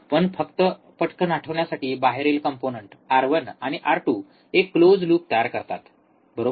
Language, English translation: Marathi, But just to quickly recall, external components R 1 and R 2 form a close loop, right